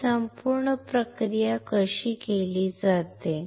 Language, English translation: Marathi, How this whole process is done